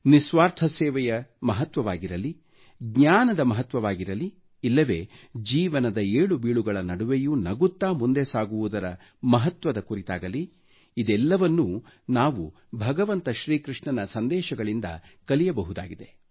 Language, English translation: Kannada, The importance of selfless service, the importance of knowledge, or be it marching ahead smilingly, amidst the trials and tribulations of life, we can learn all these from Lord Krishna's life's message